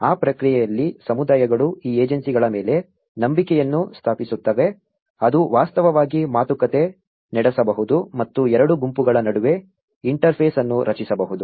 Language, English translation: Kannada, In that process, what happens is communities establish a trust on these agencies which can actually negotiate and may create an interface between both the groups